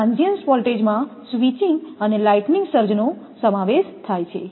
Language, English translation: Gujarati, The transient voltages include switching and lighting surges